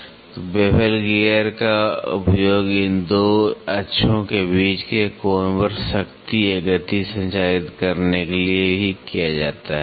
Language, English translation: Hindi, So, bevel gear is also used to transmit power or motion at an angle between these 2 axes